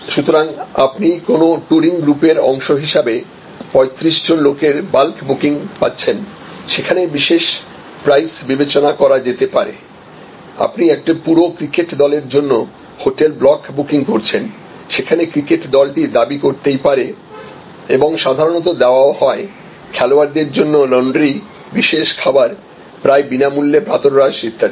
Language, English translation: Bengali, So, you are getting at one time bulk booking of 35 people as part of a touring group and therefore, there can be special price consideration you are making a block booking of a hotel for a whole cricket team and therefore, the cricket team will can demand and will normally get certain additional privileges like may be laundry for the players and a special meal almost free breakfast and so on and so forth